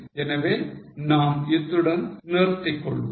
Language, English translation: Tamil, So, with this we'll stop here